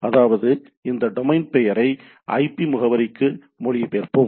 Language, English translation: Tamil, So, that is these are all domain name to IP